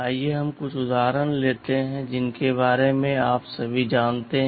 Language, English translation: Hindi, Let us take some examples that you all know about